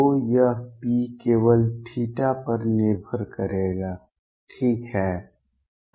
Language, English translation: Hindi, So, this p would depend only on theta, right